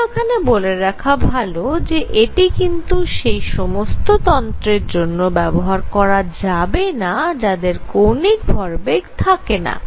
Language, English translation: Bengali, However, I must point out that it cannot be applied to systems which do not have angular momentum